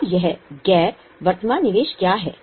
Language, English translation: Hindi, Now, what is this non current investment